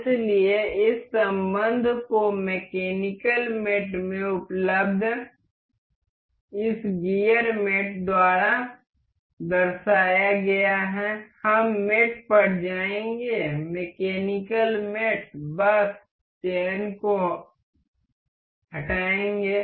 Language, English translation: Hindi, So, this relation is featured by this gear mate available in mechanical mates we will go to mate, mechanical mates just remove the selection